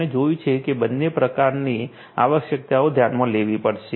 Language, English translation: Gujarati, We have seen that both sorts of requirements will have to be considered